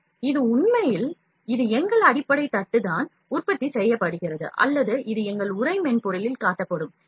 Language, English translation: Tamil, So, it is actually this is our base plate where it is manufactured or this is our envelop that is being displayed in the software